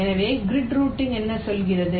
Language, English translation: Tamil, so what does grid routing say